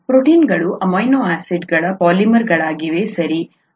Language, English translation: Kannada, They are polymers of amino acids